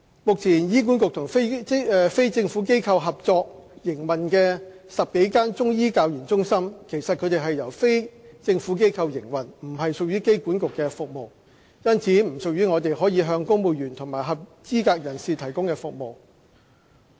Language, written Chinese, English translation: Cantonese, 目前醫管局與非政府機構合作營運的10多間中醫教研中心，其實它們是由非政府機構營運，不屬醫管局的服務，因此不屬於我們可向公務員及合資格人士提供的服務。, At present more than 10 HAs clinical centres for training and research in Chinese medicine are in collaboration with non - governmental organizations NGOs they are actually run by NGOs thus they are not services provided by HA . For that reason the do not belong to the service we can provide for civil servants and eligible persons